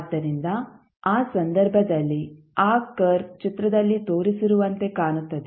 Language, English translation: Kannada, So, in that case it will the curve will look like as shown in the figure